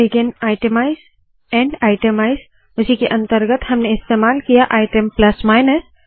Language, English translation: Hindi, Begin itemize, End itemize, within that we used item plus minus